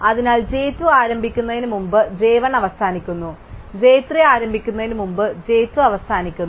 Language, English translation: Malayalam, So, j 1 ends before j 2 starts, j 2 ends before j 3 starts and so on